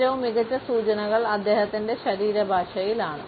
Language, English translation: Malayalam, The best cues may lie in his body language